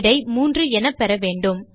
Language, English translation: Tamil, You should get the result as 3